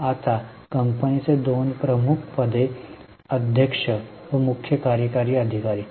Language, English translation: Marathi, Now there are two important positions in the company, chairperson and CEO